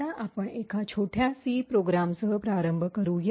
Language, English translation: Marathi, So, let us start with a small C program